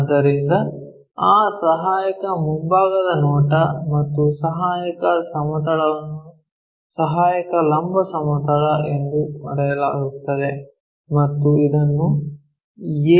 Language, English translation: Kannada, So, that auxiliary front view and the auxiliary plane is called auxiliary vertical plane and denoted as AVP